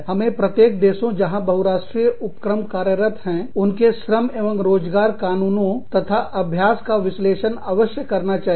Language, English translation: Hindi, We must conduct an analysis of the, labor and employment laws and practices, in each of the countries within which, the multi national enterprise operates